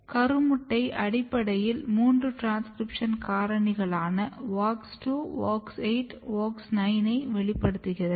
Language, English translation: Tamil, So, zygote basically express all three transcription factor WOX2, WOX 8 WOX 9